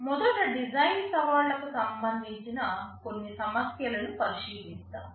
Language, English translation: Telugu, Let us look at some issues relating to design challenges first